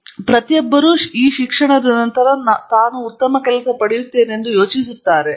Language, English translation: Kannada, So, everybody thinks will I get a better job after this